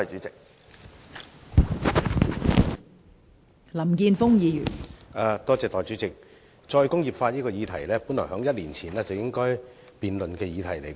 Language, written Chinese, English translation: Cantonese, 代理主席，這項有關"再工業化"的議案本來在一年前便應該辯論。, Deputy President this motion on re - industrialization should have been debated a year ago